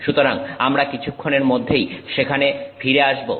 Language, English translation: Bengali, So, we will come back to that in just a moment